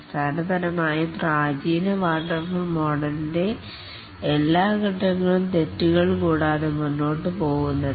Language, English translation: Malayalam, And that is what is basically the classical waterfall model that all phases proceed without any mistakes